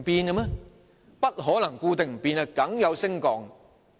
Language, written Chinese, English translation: Cantonese, 人口不可能固定不變，一定會有所升降。, It is impossible for the population to remain unchanged . It will definitely go up or down